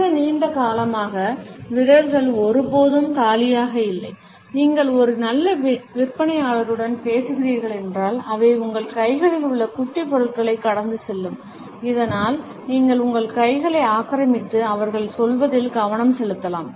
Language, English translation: Tamil, The fingers are never empty for a very long time, if you are talking to a good salesperson, they would pass on petty objects in your hands so that you can occupy your hands and focus on what they are saying